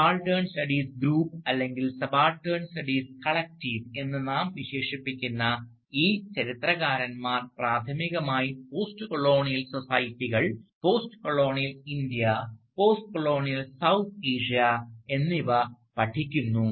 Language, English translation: Malayalam, And this group of historians, whom we refer to as the Subaltern Studies Group, or Subaltern Studies Collective, they were primarily studying postcolonial societies, postcolonial India, postcolonial South Asia